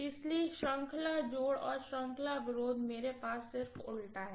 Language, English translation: Hindi, So series addition and series opposition I have just invert, that is all, got it